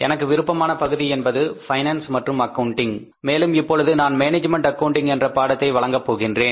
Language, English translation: Tamil, My area of interest is finance and accounting and this time I am offering a course management accounting